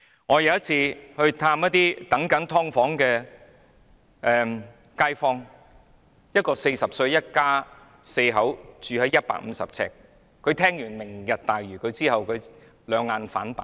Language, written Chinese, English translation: Cantonese, 我有一次探訪住在"劏房"的街坊，他一家四口住在150平方呎的地方，聽完"明日大嶼願景"計劃後兩眼反白。, I once visited a resident of my district who lives in a subdivided unit . His family of four live in a dwelling with an area of 150 sq ft and after learning about the Vision he rolled his eyes upwards